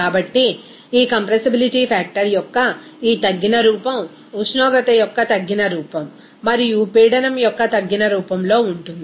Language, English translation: Telugu, So, this reduced form of this compressibility factor will be a function of reduced form of temperature and reduced form of pressure like this